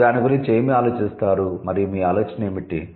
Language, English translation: Telugu, So, what do you think about it and what is your idea